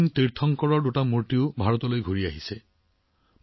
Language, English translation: Assamese, Two stone idols of Jain Tirthankaras have also come back to India